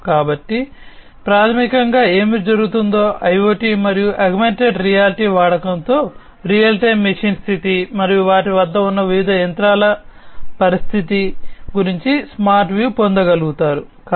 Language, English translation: Telugu, So, basically what happens is with the use of IoT and augmented reality, one is able to get a smart view about the real time machine status and the condition of the machines of the different machines that they have